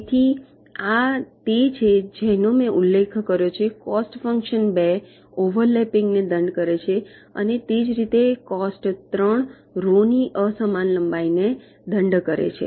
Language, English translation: Gujarati, ok, so this is what i mentioned: the cost function cost two penalizes the overlapping and similarly, cost three penalizes the unequal lengths of the rows